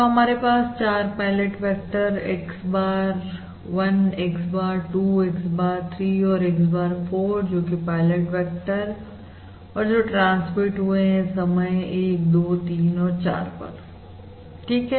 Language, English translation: Hindi, So we have 4 pilot vectors: x bar 1, x bar 2, x bar 3 and x bar 4, which corresponds to the, which corresponds to the pilot vectors transmitted at time instant: 1, 2, 3 and 4